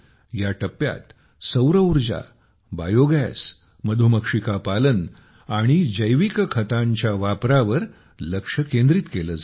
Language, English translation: Marathi, There is complete focus on Solar Energy, Biogas, Bee Keeping and Bio Fertilizers